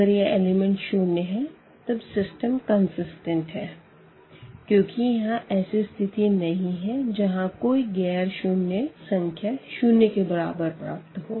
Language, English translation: Hindi, So, if these elements are 0 here then we have that the system is consistent because there is nothing like 0 is equal to nonzero in that case